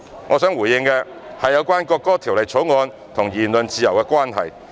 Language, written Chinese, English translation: Cantonese, 我想回應的最後一點，是有關《條例草案》與言論自由的關係。, The last point that I wish to respond to is about the relationship between the Bill and the freedom of speech